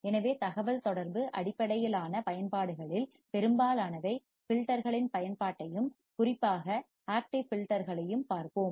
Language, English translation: Tamil, So, most of the communication based applications, we will see the use of the filters and in particular active filters